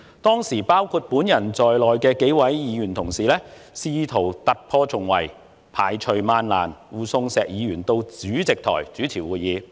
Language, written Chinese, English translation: Cantonese, 當時包括我在內的幾位議員同事，試圖突破重圍，排除萬難，護送石議員到主席台主持會議。, A few colleagues including me tried hard to force our way through the crowd in a bid to escort Mr SHEK to his seat to chair the meeting